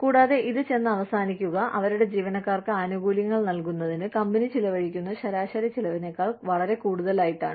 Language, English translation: Malayalam, And, that ends up costing, a lot more than the average cost, of the company would have incurred, for giving benefits, to their employees